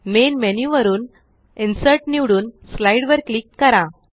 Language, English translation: Marathi, From Main menu, select Insert and click on Slide